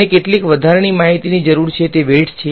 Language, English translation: Gujarati, And, some extra information is needed those are the weights